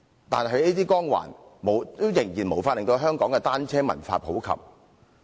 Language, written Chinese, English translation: Cantonese, 但這些光環，仍然無法令香港的單車文化普及。, However such honours still cannot help popularize a cycling culture in Hong Kong